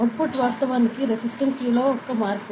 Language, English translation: Telugu, So, the output is actually a resistance change